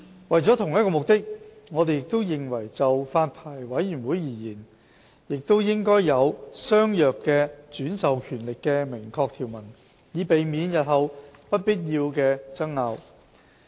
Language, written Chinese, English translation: Cantonese, 為着同一個目的，我們認為就發牌委員會而言，亦應有相若的轉授權力的明確條文，以避免日後不必要的爭拗。, To achieve the same purpose we consider that an express provision for similar delegation of powers should be made for the Licensing Board to avoid unnecessary disputes in future